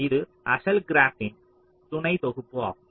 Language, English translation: Tamil, it's the sub set of the original graph